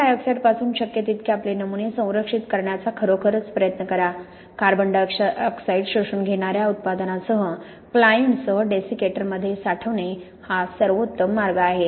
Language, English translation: Marathi, Really try to protect your samples as much as possible from CO2; storing in a desiccator with a client, with a product that absorbs CO2 is the best way to do that